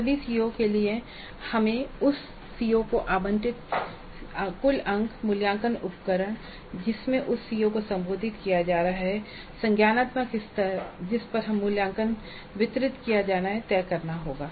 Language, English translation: Hindi, For all CEOs we must decide the marks, total marks allocated to that COO, the assessment instruments in which that CO is going to be addressed and the cognitive levels over which the assessment is to be distributed